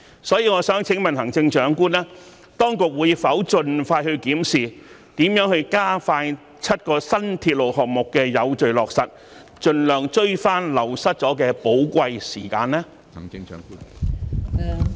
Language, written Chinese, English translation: Cantonese, 所以，我想請問行政長官，當局會否盡快檢視如何加快7項新鐵路項目的有序落實，盡量追回流失了的寶貴時間呢？, In this connection I would like to ask the Chief Executive this Will the authorities expeditiously look into ways to expedite the orderly implementation of the seven new railway projects to recover the precious time lost as far as possible?